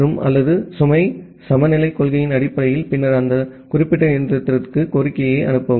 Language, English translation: Tamil, And or based on the load balancing principle and then send the request to those particular machine